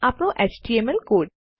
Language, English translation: Gujarati, our html code